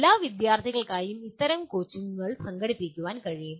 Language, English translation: Malayalam, Such coaching can be organized for all the students